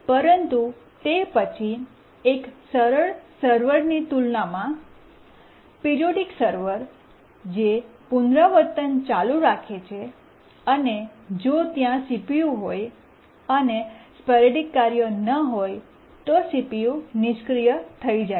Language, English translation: Gujarati, But then compared to a simple server, periodic server which just keeps on repeating and even if there is CPU, there is no sporadic task, it just idles the CPU time